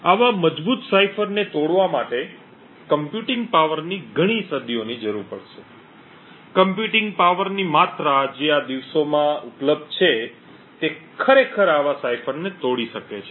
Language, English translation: Gujarati, Breaking such a strong cipher would require several centuries of computing power constrained the amount of computing power that is available these days to actually break such a cipher